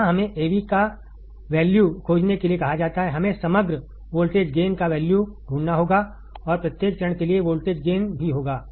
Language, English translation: Hindi, Here, we are asked to find the value of Av, we have to find the value of overall voltage gain, and also the voltage gain for each stage